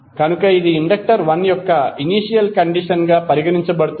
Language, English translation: Telugu, So that is considered to be as the initial condition for that inductor 1